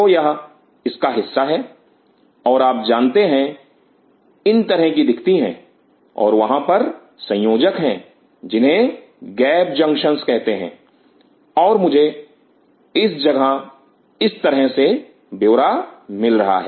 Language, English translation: Hindi, So, it takes part of this and these kind of you know look like this, and there are connectors called gap junctions and I am getting to the detail of it at this point like this